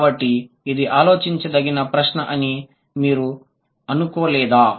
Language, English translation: Telugu, So don't you think this is a question worth pondering over, right